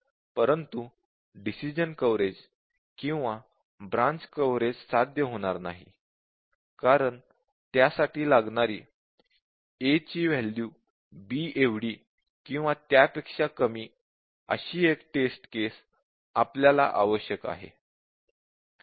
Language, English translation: Marathi, But decision coverage or branch coverage will not be achieved, because we are also needs test case which sets an equal to or less than b